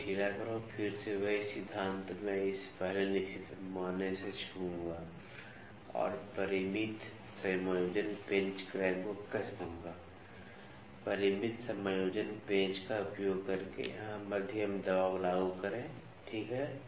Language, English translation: Hindi, Loosen it, again the same principle I will touch it with the fixed scale first and tighten the finite adjustment screw clamp, using finite adjustment screw apply the moderate pressure here, ok